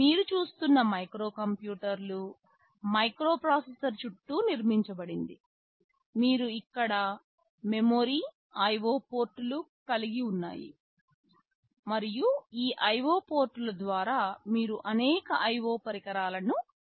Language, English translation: Telugu, A microcomputer as you can see is built around a microprocessor, you have memory, you are IO ports and through this IO ports you can interface with several IO devices